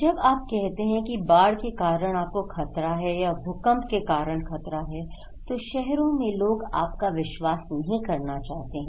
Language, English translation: Hindi, When you are saying that you are at risk because of the flood, because of the earthquake in this city, people do not want to believe you